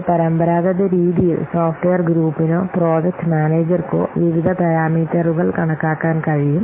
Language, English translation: Malayalam, So, in a traditional fashion, the software group or the project manager, they can estimate the various parameters